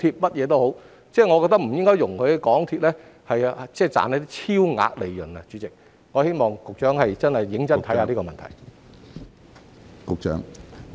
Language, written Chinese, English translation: Cantonese, 我認為不應該讓港鐵公司賺取超額利潤，希望局長可以認真考慮這個問題。, I opined that MTRCL should not be allowed to make excessive profits and I hope that the Secretary will seriously consider this point